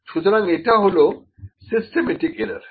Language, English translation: Bengali, And it is a kind of a systematic error